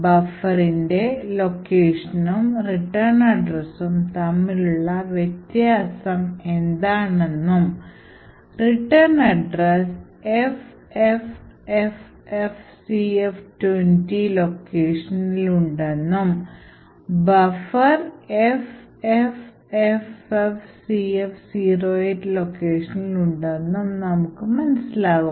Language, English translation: Malayalam, So, we know that the return address is present at the location FFFFCF20 and the buffer is present at this location FFFF CF08